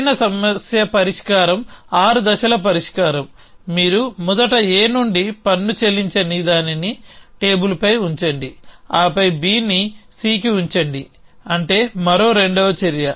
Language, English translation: Telugu, The optimal solution is the 6 step solution was you first untaxed from A put it on the table then put B on to C that is 2 more action